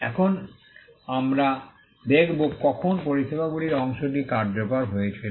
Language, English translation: Bengali, Now, we will see when the services part came into being